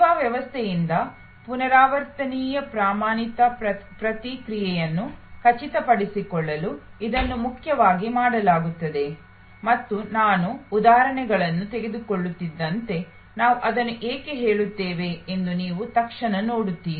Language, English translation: Kannada, This is done mainly to ensure repeatable standard response from the service system and as I take on examples, you will immediately see why we say that